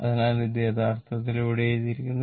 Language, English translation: Malayalam, So, that that is actually that is actually what is written here